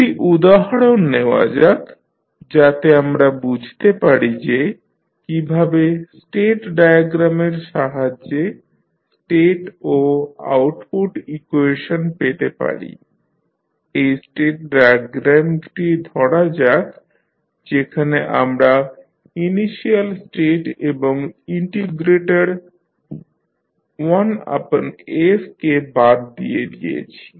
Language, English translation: Bengali, Let us, take one example so that we can understand how we can find out the state and output equation with the help of state diagram, let us see this is the state diagram where we have removed the initial states as well as the 1 by s that is the integrator section